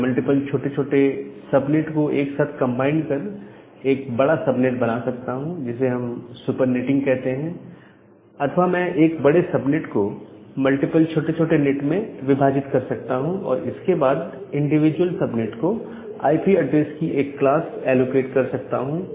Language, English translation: Hindi, So, can I combine multiple smaller subnets together to form a larger subnet, which we call as super netting or can I break a large subnet into multiple small subnet and then allocate IP addresses or 1 class of IP address to individual subnets so that is the concept of sub netting